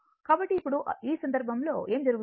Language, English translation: Telugu, So, now, in that case what will happen